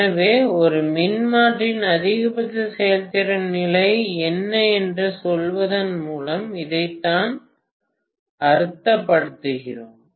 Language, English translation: Tamil, So this is what we mean by saying, what is the maximum efficiency condition of a transformer